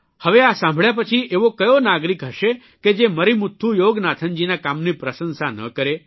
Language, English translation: Gujarati, Now after listening to this story, who as a citizen will not appreciate the work of Marimuthu Yoganathan